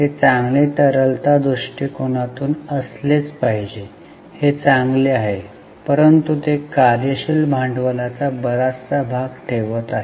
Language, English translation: Marathi, They are from liquidity angle it is good but they are keeping too much of working capital